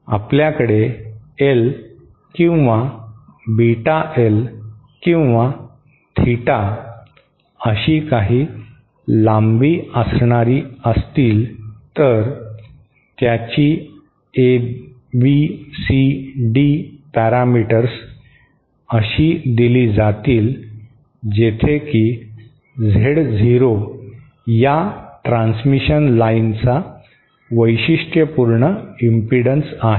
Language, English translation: Marathi, If we have a of a certain length say L or beta L or theta, it is ABCD parameters are given by say Z0 is the characteristic impedance of this transmission line